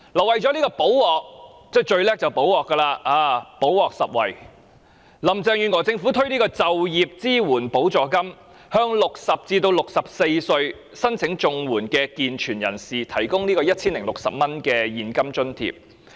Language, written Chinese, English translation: Cantonese, 為了"補鑊"——政府最擅長"補鑊"，"補鑊拾遺"——林鄭月娥政府推出就業支援補助金，向60歲至64歲申領綜援的健全人士提供 1,060 元現金津貼。, In order to make remedies―the Government is most adept at making remedies―the Carrie LAM Administration introduced the Employment Support Supplement which provides a cash allowance of 1,060 to able - bodied CSSA recipients aged 60 to 64